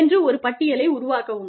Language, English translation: Tamil, Make a list